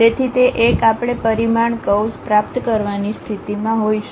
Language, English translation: Gujarati, So, that one will we will be in a position to get a parameter curve